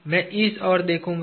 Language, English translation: Hindi, I will look at this